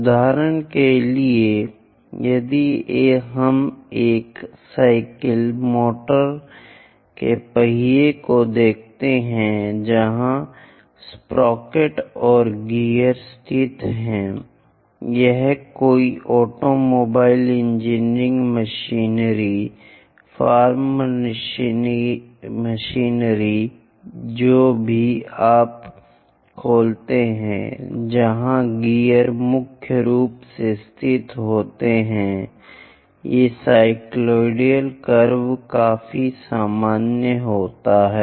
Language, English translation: Hindi, For example, if you are looking at your bicycle, motor wheels where sprocket and gears are located or any automobile engineering machinery, farm machinery anything you open where gears are predominantly located these cycloid curves are quite common